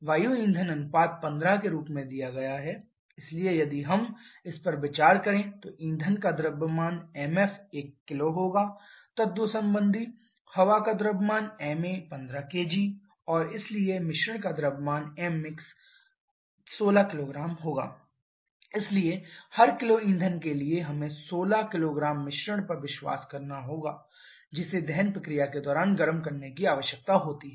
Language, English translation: Hindi, Air fuel ratio is given as 15, so if we consider the mass of fuel to be equal to 1 kg then corresponding mass of air will be equal to 15 kg and therefore the mass of mixture or let us just keep it mass that will be equal to mass of fuel plus mass of air that is equal to 16 kg